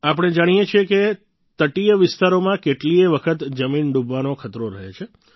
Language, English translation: Gujarati, We know that coastal areas are many a time prone to land submersion